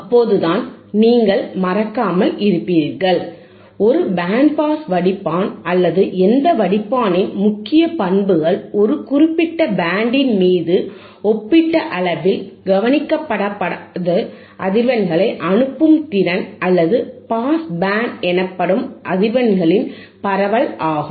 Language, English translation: Tamil, See the principal characteristics of a band pass filter or any filter for that matter is it is ability to pass frequencies relatively un attenuated over a specific band, or spread of frequencies called the pass band